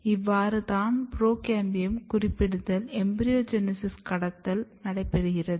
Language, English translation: Tamil, So, this is how the program of pro cambiums specification takes place at embryogenic stages